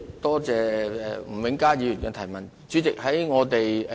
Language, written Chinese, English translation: Cantonese, 多謝吳永嘉議員提出的補充質詢。, I thank Mr Jimmy NG for his supplementary question